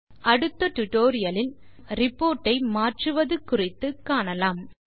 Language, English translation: Tamil, In the next tutorial, we will learn how to modify our report